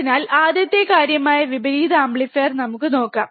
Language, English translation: Malayalam, So, let us see first thing which is the inverting amplifier, right